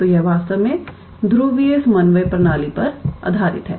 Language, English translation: Hindi, So, this one is actually based on polar coordinate system